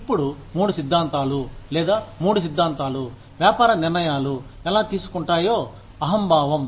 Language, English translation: Telugu, Now, three theories, or, three of the theories, that can determine, how business decisions are made, are egoism